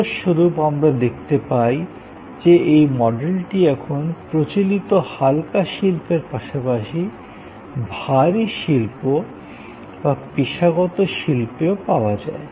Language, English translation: Bengali, As a result, we find that, this model is now available in number of different ways in very traditional light industries as well as having heavy industries or professional industries